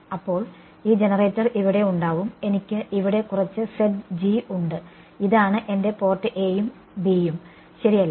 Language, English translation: Malayalam, So, this generator remains here, I have some Zg this is my port a and b right